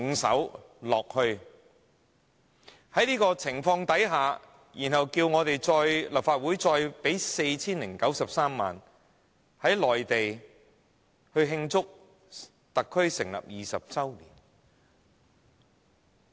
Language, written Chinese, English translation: Cantonese, 在這種情況下，他們竟要求立法會撥款 4,093 萬元，在內地慶祝特區政府成立20周年。, How can they under such circumstances request at the Legislative Council for 40,930,000 to celebrate the 20 Anniversary of the Establishment of HKSAR in the Mainland?